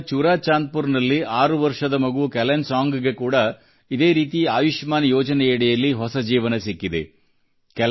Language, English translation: Kannada, Kelansang, a sixyearold child in ChuraChandpur, Manipur, has also got a new lease of life from the Ayushman scheme